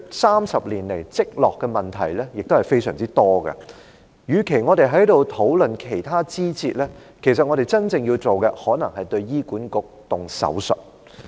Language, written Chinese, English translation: Cantonese, 三十年來累積的問題是非常多的，與其我們在此討論其他枝節，其實我們真正要做的，可能是對醫管局施手術。, There are lots of problems accumulated in the 30 years . Rather than discussing other side issues what we really need to do is perhaps to perform an operation on HA